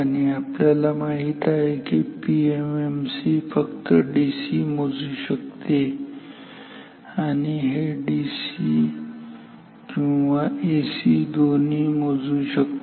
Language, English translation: Marathi, And, we know that PMMC can measure only DC and this can measure either DC or AC in principle